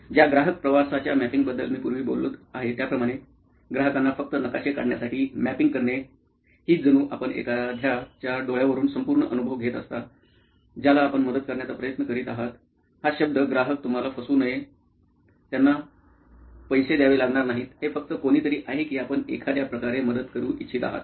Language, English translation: Marathi, The customer journey mapping that I was talking to earlier about, customer journey mapping just to recap is as if you are going through the entire experience from the eyes of somebody that you are trying to help, don’t let the word customer mislead you, they don’t have to pay you; It’s just somebody that you want to help in some way